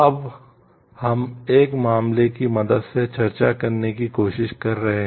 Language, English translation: Hindi, Now, we are trying to discuss that with the help of a case